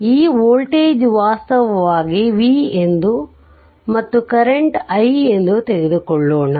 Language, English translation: Kannada, So, this voltage actually this voltage your V right this voltage is taken V V and current is i